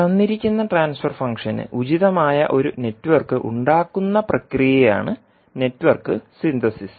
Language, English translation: Malayalam, Network Synthesis is the process of obtaining an appropriate network for a given transfer function